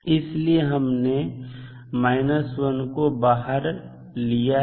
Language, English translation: Hindi, So, that is why we have taken minus 1 out